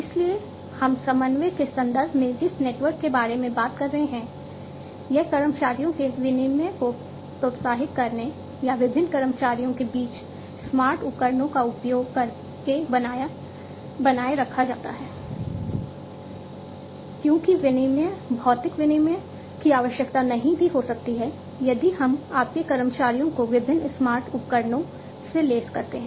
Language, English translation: Hindi, So, this network we are talking about in the context of coordination is maintained by encouraging the exchange of employees or by using smart devices between different employees, because exchange, physical exchange, may not be required, you know, if you know if we equip your employees with different smart devices